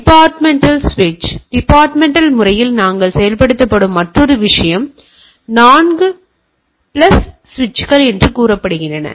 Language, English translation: Tamil, And another thing we implement at in the departmental switch or departmental say they are 4 plus switch